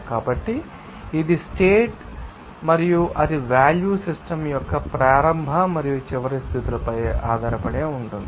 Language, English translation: Telugu, So, it is a function of state and its value depends only on the starting and final states of the system